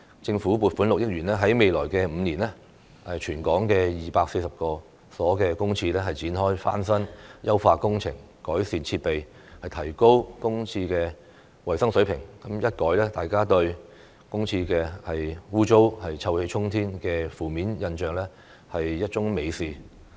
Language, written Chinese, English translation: Cantonese, 政府撥款6億元在未來5年為全港240所公廁展開翻新、優化工程，改善設備，提高公廁的衞生水平，一改大家對公廁骯髒、臭氣沖天的負面印象，是一樁美事。, The Government will allocate 600 million to refurbish or facelift some 240 public toilets in Hong Kong in the coming five years so as to improve the facilities enhance the hygienic standard of public toilets and change the publics negative perception that public toilets are filthy and smelly . This will be a good thing